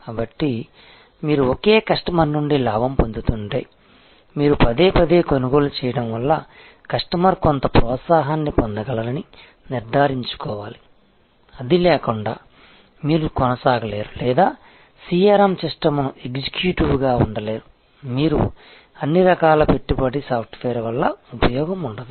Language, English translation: Telugu, So, if you are gaining from the same customer, because of is repeat purchase you must ensure, that the customer get some incentive without that you will not be able to proceed or executive CRM system whatever you may be are investment in all kinds of software it will be of no use